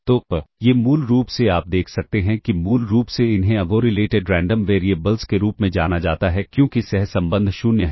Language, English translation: Hindi, So, these are basically what you can see is; basically these are known as uncorrelated random variables, because the correlation is 0